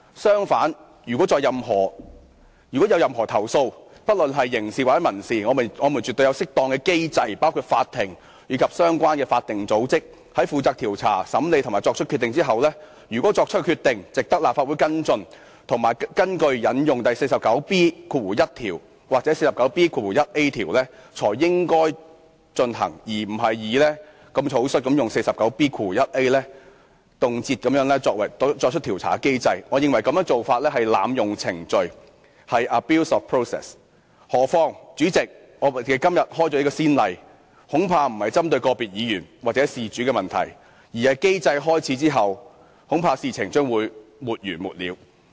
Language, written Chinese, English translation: Cantonese, 相反，如果議員有任何投訴，不論是刑事或民事，我們絕對有適當的機制，包括法庭及相關法定組織，在它們負責調查、審理及作出決定後，如果決定值得立法會跟進及引用《議事規則》第 49B1 條或第 49B 條作出譴責，才應該進行，而並非如此草率，動輒引用第 49B 條行使調查機制，我認為這個做法是濫用程序；何況，代理主席，如果我們今天開此先例，恐怕不是針對個別議員或事主的問題，而是機制開始後，恐怕事情將會沒完沒了。, On the contrary if there are any complaints whether criminal or civil an appropriate mechanism including the Court and other statutory bodies is definitely in place for investigations and trials to be conducted and decisions made . The Legislative Council will take follow - up actions and invoke Rule 49B1 or Rule 49B1A of the Rules of Procedure only if the decision so made is worthwhile for the Legislative Council to act accordingly . Rule 49B1A should not be invoked rashly and indiscriminately as a mechanism for conduct investigation